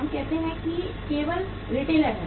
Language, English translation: Hindi, We say only retailer is there